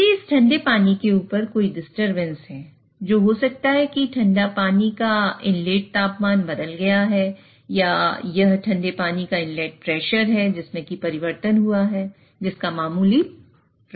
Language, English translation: Hindi, And if there is any disturbance upstream of this cooling water, which may be that the inlet temperature of the cooling water has changed, or it is the inlet pressure of the cooling water which has changed, which has a minor effect